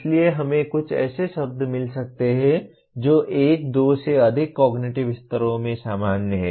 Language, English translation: Hindi, So we may find some words which are common across one or more maybe two of the cognitive levels